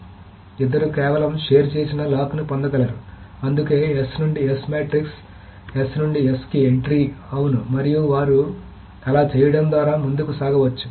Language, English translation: Telugu, So both of them can just obtain a shared lock which is why the S2S matrix, the entry for S2S is yes, and they can just go ahead with doing that